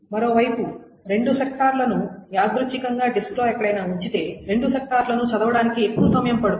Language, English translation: Telugu, On the other hand, if the two sectors are placed randomly anywhere on the disk, it will take much more time to read the two sectors